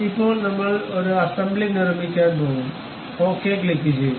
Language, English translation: Malayalam, Now, we are going to construct an assembly, click ok